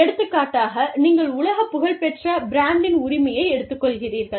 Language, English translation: Tamil, For example, you take a franchise, of a world renowned brand